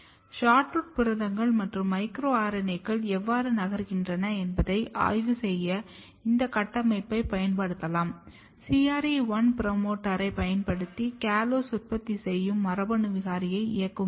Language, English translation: Tamil, Then we if you use this construct to study that how SHORTROOT proteins and micro RNAs are moving, when you use the CRE1 promoter and drive callose synthesis gene mutant callose synthesis gene